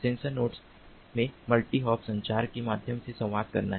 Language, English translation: Hindi, they have to communicate via multi hop communication